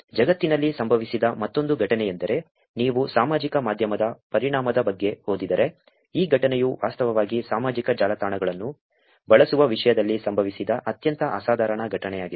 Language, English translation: Kannada, Another incident that happened in the world which also is something that, if you read about the effect of social media, this incident would actually be one of the most phenomenal event that happened in terms of using social networks